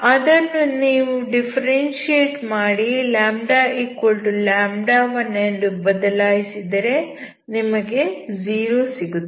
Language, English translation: Kannada, When you differentiate it twice and put λ=λ1 that is also zero